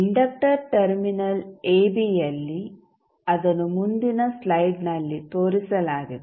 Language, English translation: Kannada, At the inductor terminal AB which is shown in the next slide